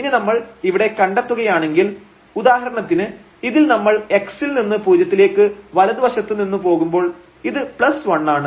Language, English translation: Malayalam, And now if we realize here for example, this one when we go x to 0 from the right side this is plus 1, when x goes to 0 from the negative side this will become as minus 1